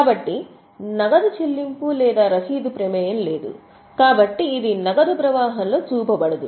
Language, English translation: Telugu, So, no cash payment or receipt is involved so it will not be shown in the cash flow